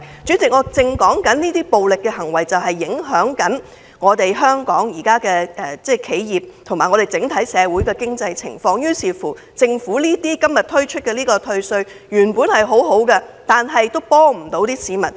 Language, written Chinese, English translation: Cantonese, 主席，我是要指出，這些暴力行為現正影響香港的企業和整體經濟，所以政府今天提出寬免稅項雖是好事，但卻幫不了市民。, Chairman I want to point out that these violent acts are adversely affecting the businesses and the overall economy of Hong Kong . Therefore even though it is good for the Government to propose tax concessions today this proposal is not going to help